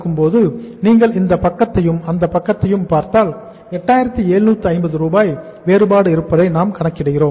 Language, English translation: Tamil, So if you look at this side now and look at this side now so this difference is 8750 we have calculated